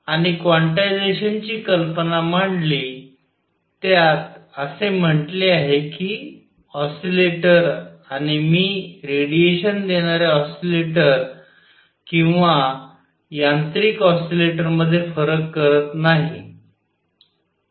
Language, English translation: Marathi, And introduced the idea of quantization it said that an oscillator and I am not distinguishing between an oscillator giving out radiation or a mechanical oscillator